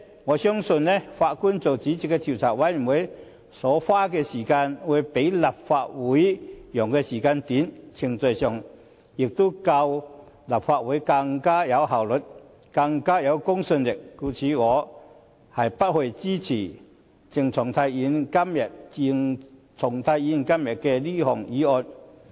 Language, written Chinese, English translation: Cantonese, 我相信法官擔任主席的調查委員會所花的時間會較立法會所用的時間短，程序上也會較立法會更有效率和公信力，因此我不會支持鄭松泰議員今天這項議案。, I believe that the judge - led Commission of Inquiry will spend a shorter time than that of the Legislative Council and it will be more efficient and credible than the Legislative Council in the process so I will not support Dr CHENG Chung - tais motion today